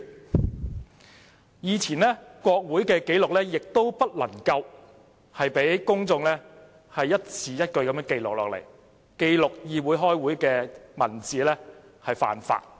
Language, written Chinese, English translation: Cantonese, 在以前，公眾不能一字一句記錄國會的紀錄，記錄議會開會的文字是犯法的。, In those times the public were not allowed to prepare any verbatim of parliamentary proceedings